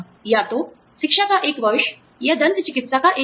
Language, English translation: Hindi, Either, one year of education, or one year of dental care